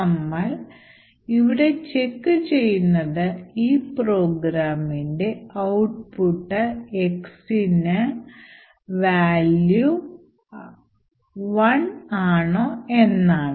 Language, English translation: Malayalam, Now when we run this particular program what we see is that we obtain a value of x is zero